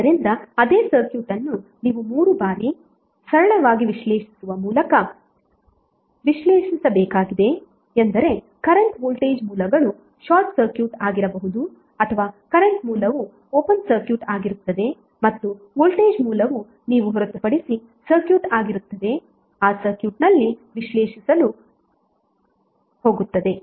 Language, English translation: Kannada, So it means that the same circuit you have to analyze 3 times by making them simpler, simpler means the current voltage sources would be either short circuited or current source would be open circuited and voltage source would be open circuited except 1 which you are going to analyze in that circuit